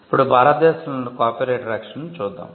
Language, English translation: Telugu, Now let us look at Copyright protection in India